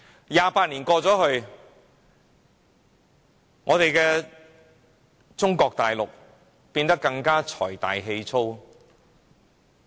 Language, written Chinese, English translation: Cantonese, 二十八年過去，中國變得更財大氣粗。, After 28 years China has now become richer and more overbearing